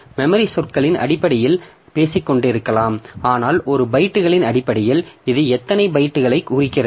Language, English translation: Tamil, So, we may be talking in terms of words, memory words, but in terms of bytes, how many bytes it refers to